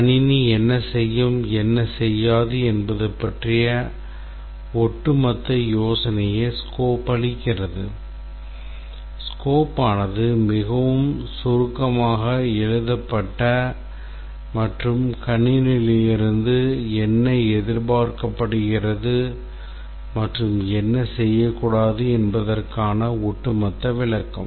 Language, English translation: Tamil, The scope very overall idea about what the system will do, what it will not do, very crisply written an overall description of what is expected of the system and what it should not do